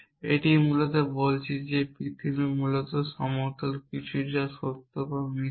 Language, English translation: Bengali, It is basically saying that the earth is flat essentially something which is true or false essentially